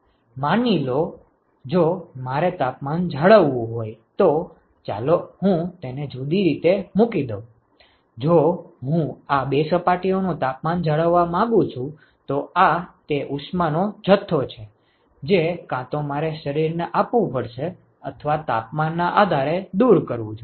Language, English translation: Gujarati, So, let me put it in a different way supposing, if I want to maintain the temperatures of these two surface this is the amount of heat that either I have to provide to a body or remove depending upon the temperatures